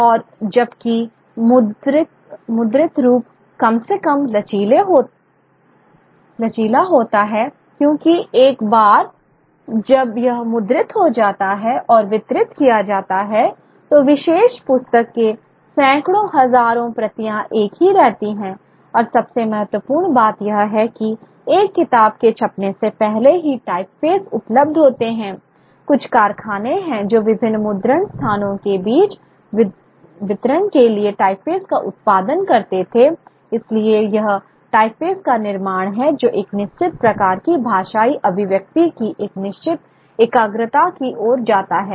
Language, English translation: Hindi, Print one because once it is printed and distributed hundreds of thousands of copies of particular book remain the same and for most importantly the typeface that is available in the type phase that before even a book is printed there is a certain certain factory which is producing the producing the the typefaces of the of the for for distribution among the various printing places it is the it is the manufacture of the typeffaces which also leads to a certain concentration of a certain kind of a linguistic expression